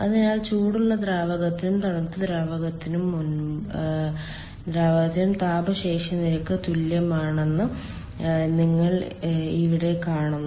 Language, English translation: Malayalam, so here you see, heat capacity rates are same for both the hot fluid and cold fluid